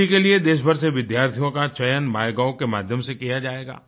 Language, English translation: Hindi, Students participating in the Delhi event will be selected through the MyGov portal